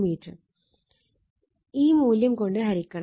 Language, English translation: Malayalam, 002 meter divided by this one right